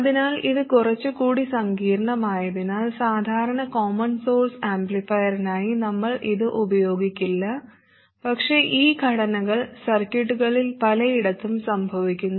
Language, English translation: Malayalam, So because this is slightly more complicated, we normally would not use this for a simple common source amplifier, but these structures do occur in many places in circuits